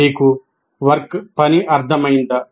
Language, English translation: Telugu, Do you understand the task